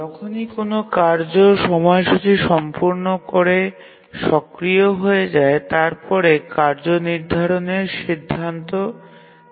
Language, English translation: Bengali, And also whenever a task completes, the scheduler becomes active and then decides which task to schedule